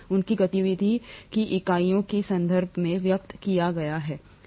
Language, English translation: Hindi, Their activity is expressed in terms of units of activity, right